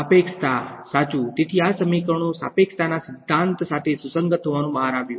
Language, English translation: Gujarati, Relativity right; so, what these equations they turned out to be consistent with the theory of relativity as well